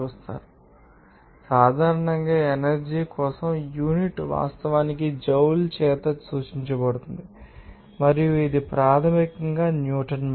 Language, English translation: Telugu, So, in this case, generally the unit for energy is actually denoted by joule and it is basically that Newton meter